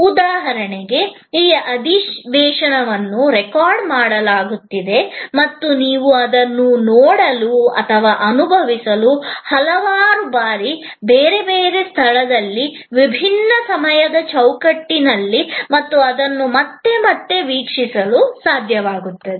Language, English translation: Kannada, Like for example, this session is being recorded and you would be able to see it and experience it and view it again and again, number of times, at a different place, different time frame